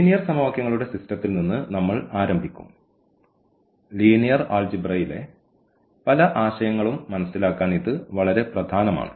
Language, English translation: Malayalam, And, we will start with the system of linear equations and again this is a very important to understand many concepts in linear algebra